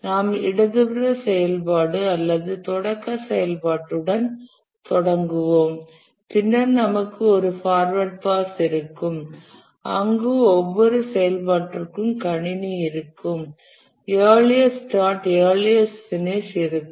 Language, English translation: Tamil, We will start with the leftmost activity or the start activity and then we'll have a forward pass where we will compute for every activity the earliest start and the earliest finish